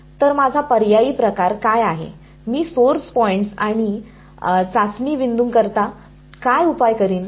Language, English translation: Marathi, So, what is my sort of alternate, what is the solution that I will do for source points and testing points